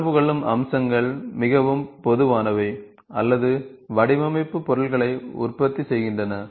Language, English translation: Tamil, The interacting features are very common or manufacturing design objects